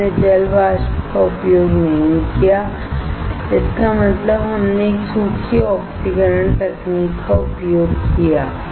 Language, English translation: Hindi, We have not used water vapor; that means, we have used a dry oxidation technique